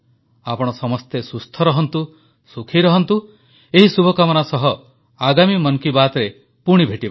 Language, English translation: Odia, Stay healthy and stay happy, with these wishes, we will meet again in the next edition of Mann Ki Baat